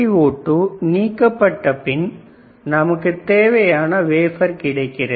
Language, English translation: Tamil, When SiO2 is removed, we get the wafer which is what we wanted, correct